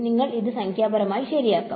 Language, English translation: Malayalam, You have to solve it numerically right